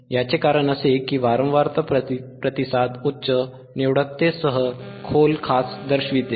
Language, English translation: Marathi, This is because a frequency response shows a deep notch with high selectivity